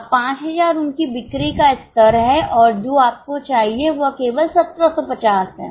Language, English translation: Hindi, Now, 5,000 is their sales level and what you require is only 1750